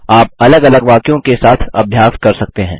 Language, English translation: Hindi, You can keep practicing with different sentences